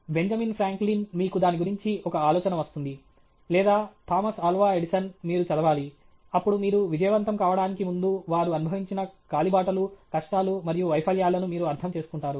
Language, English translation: Telugu, Benjamin Franklin, you will get an idea of what… or Thomas Alva Edison, you have to read; then you will understand the trails, the tribulations, and then the failures, which they went through before they could turn into success